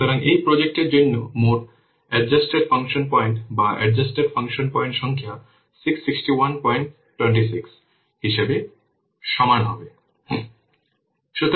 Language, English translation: Bengali, 26 so the total number of adjusted function points or the adjusted function point counts for this project will be equal given as 606